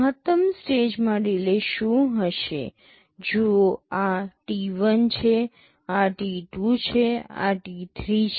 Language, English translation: Gujarati, What will be the maximum stage delay, see this is t1, this is t2, this is t3